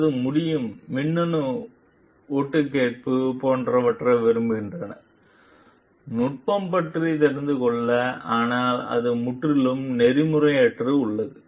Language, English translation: Tamil, Or the can like to electronic eavesdropping etcetera, to know about the technique, but that is totally unethical